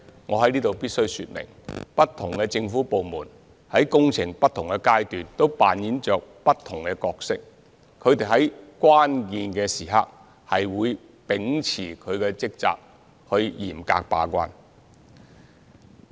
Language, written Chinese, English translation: Cantonese, 我在此必須說明，不同政府部門在工程的不同階段都擔當着不同角色，它們在關鍵時刻會秉持職責，嚴格把關。, I must state here that various government departments have their respective roles to play at different stages of works . They will remain steadfast in their duties and perform their gatekeeping role rigorously at crucial moments